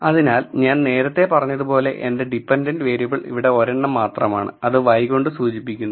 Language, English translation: Malayalam, So, like I earlier said, my dependent variable is only one here mean which is denoted by y